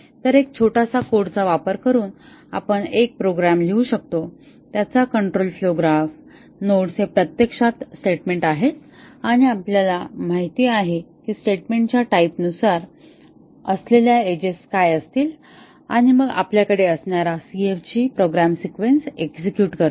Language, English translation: Marathi, So, given a small code we can write a program to generate, its control flow graph the control flow graph nodes are actually the statements and we know that what will be the edges depending on the type of the statement and once we have the CFG as the program executes